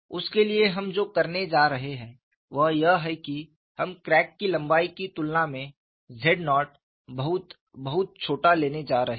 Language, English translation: Hindi, For that, what we are going to do is, we are going to take z naught, it is very, very small, in comparison to the crack length